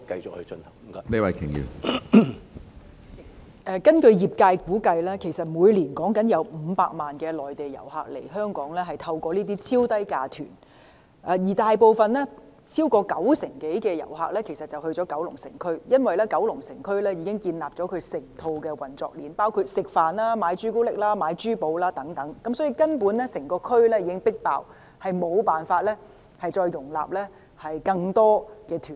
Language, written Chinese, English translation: Cantonese, 主席，根據業界估計，每年有500萬內地遊客透過這類超低價團來港，當中超過九成多遊客會前往九龍城區，因為該區已建立整套運作鏈，包括用膳、購買朱古力及珠寶等，因此，整個地區根本已"迫爆"，無法容納更多旅行團。, President as estimated by the trade 5 million Mainland tourists come to Hong Kong through extremely low - fare tour groups annually and over 90 % of them flock to the Kowloon City District where an entire chain of operation has been developed for various tourist activities such as dining shopping for chocolate and jewellery . Hence the district is essentially bursting at the seams and cannot afford to have more visiting tour groups